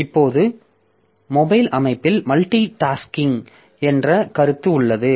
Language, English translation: Tamil, Now, in mobile systems, so there are concept of multitasking